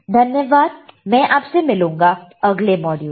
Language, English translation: Hindi, Thank you and I will see you in the next module